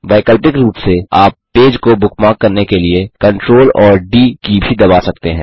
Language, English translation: Hindi, * Alternately, you can also press the CTRL and D keys * To bookmark the page